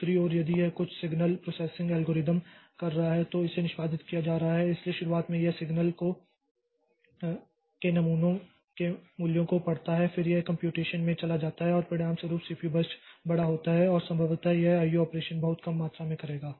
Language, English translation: Hindi, On the other hand, if it is doing some signal processing algorithm is being executed, so at the beginning it reads the values of the signal samples and then it goes into computation and as a result the CPU burst is large and possibly it will do very little amount of I